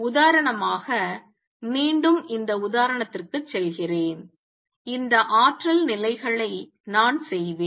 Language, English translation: Tamil, For example again going back to this example I will make these energy levels